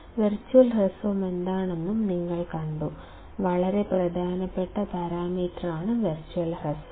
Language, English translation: Malayalam, You have also seen what is virtual short; very important parameter virtual short